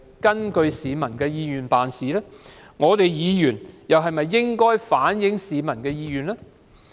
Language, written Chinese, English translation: Cantonese, 我們身為議員又是否應該反映市民的意願？, Should we being Members reflect the peoples will?